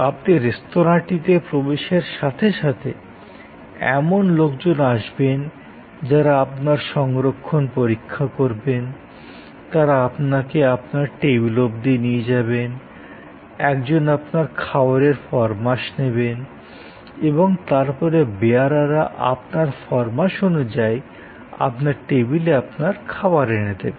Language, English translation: Bengali, Think of a restaurant, so as you enter the restaurant, there will be people who will check your booking, they will assure you to the table, a steward will come, who will take your order and then, the servers will bring your food to your table according to your order